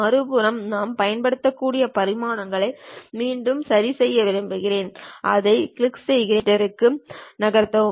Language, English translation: Tamil, On the other side, I would like to adjust the dimensions again what I can use is, click that move it to some 25 millimeters